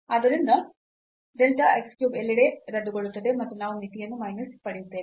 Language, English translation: Kannada, So, this delta y cube will get cancel and we will get this limit as 2